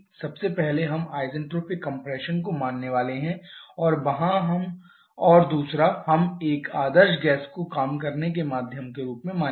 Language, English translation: Hindi, Now we have to assume a few things firstly we are going to assume isentropic compression and secondly we are going to assume an ideal gas as the working medium